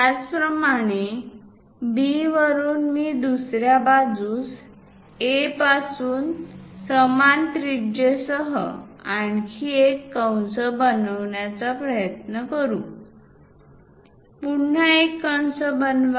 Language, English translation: Marathi, Similarly, from B, I will try to construct on the other side one more arc with the same radius from A; again, construct another arc